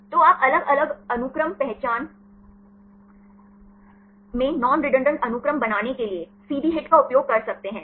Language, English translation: Hindi, So, you can use a CD HIT to create non redundant sequences at different sequence identities